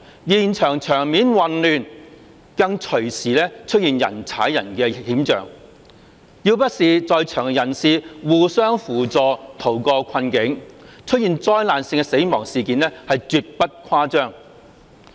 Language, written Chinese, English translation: Cantonese, 現場場面混亂，更隨時出現人踩人的險象，要不是在場人士互相扶助，逃過困境，出現災難性的死亡事件是絕不誇張。, The scene was so chaotic that the danger of a stampede might take place any time . If people at the scene had not helped each other to flee from the dangerous areas it would not be exaggerated to say that a disaster causing great casualties would have occurred